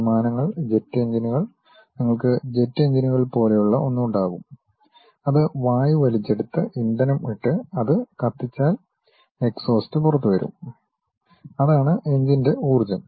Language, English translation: Malayalam, The aeroplanes, the jet engines what you have on the wings, you will have something like jet engines which grab air put a fuel, burn it, so that exhaust will come out and that can supply the thrust of that engine